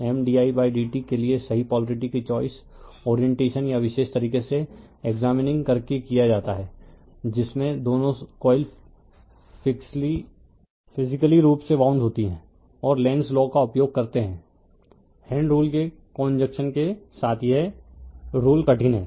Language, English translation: Hindi, The choice of the correct polarity for M d i by d t is made by examining the orientation or particular way in which both coils are physically wound right and applying Lenzs law in conjunction with the right hand rule this is a difficult one right